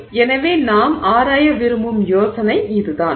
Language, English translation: Tamil, So, that's the idea that we would like to explore